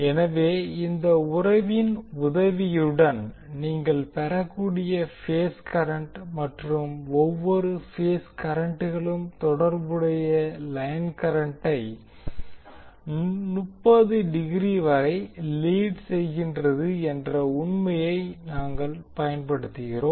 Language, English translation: Tamil, So phase current you can obtain with the help of this relationship and we utilize the fact that each of the phase currents leads the corresponding line current by 30 degree